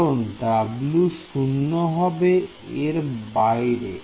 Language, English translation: Bengali, Because w itself is 0 outside it right